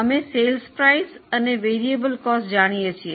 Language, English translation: Gujarati, We know sales price, we know the variable costs